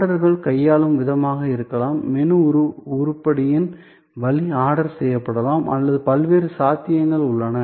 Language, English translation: Tamil, That could be the way orders are handle; that could be the way of menu item is can be ordered or so many different possibilities are there